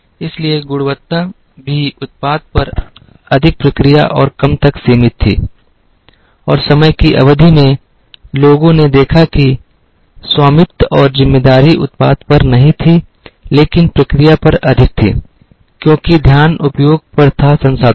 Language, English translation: Hindi, So, quality was also restricted more to the process and less on the product, and over a period of time, people observed that, the ownership and responsibility was not on the product, but was more on the process, because the focus was on utilization of resources